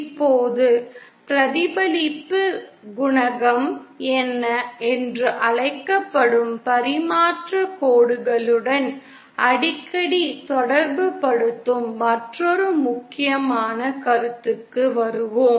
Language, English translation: Tamil, Now coming to yet another important concept that is frequently associate it with transmission lines that is called as the reflection coefficient